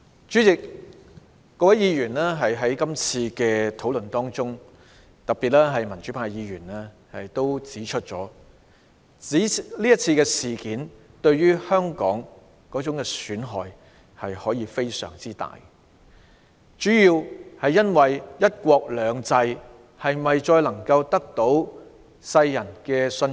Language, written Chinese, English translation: Cantonese, 在這次辯論中，多位議員都指出這次事件對香港的損害可以非常大，主要原因是它令人質疑"一國兩制"能否繼續獲得世人的信任。, In this debate many Members have pointed out that this incident can be grossly detrimental to Hong Kong the main reason being that it has called into question whether one country two systems can continue to command the worlds confidence